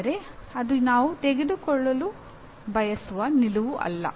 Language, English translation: Kannada, But that is not the stand we would like to take